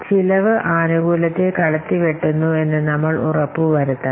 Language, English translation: Malayalam, We must ensure that the benefits must outweigh the costs